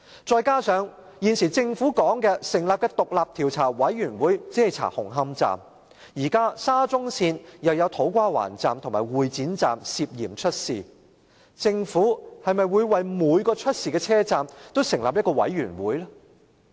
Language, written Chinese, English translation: Cantonese, 再者，政府成立的獨立調查委員會只會調查紅磡站，但沙中線的土瓜灣站和會展站亦涉嫌出事，政府會否為每個出事的車站也成立獨立調查委員會？, In addition the independent Commission of Inquiry set up by the Government will only investigate Hung Hom Station but it is alleged that there are also problems in To Kwa Wan Station and Exhibition Centre Station of SCL . Will the Government set up an independent commission of inquiry for every station that is in trouble?